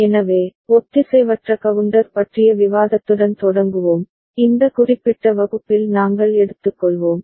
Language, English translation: Tamil, So, we begin with a discussion on Asynchronous Counter, which we shall take up in this particular class